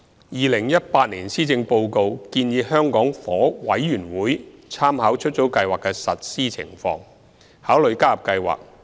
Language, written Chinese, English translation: Cantonese, 2018年施政報告建議香港房屋委員會參考出租計劃的實施情況，考慮加入計劃。, The 2018 Policy Address has suggested that in the light of the operational experience of the Scheme the Hong Kong Housing Authority HKHA may consider joining the Scheme